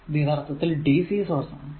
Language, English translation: Malayalam, So, this is actually v or dc source right